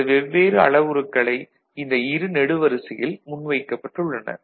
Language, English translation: Tamil, So, these are the two columns where the different parameters have been put forward